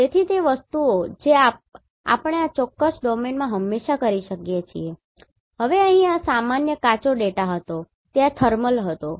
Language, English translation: Gujarati, So those things we can always perform in this particular domain, now, here, this was the normal raw data this was thermal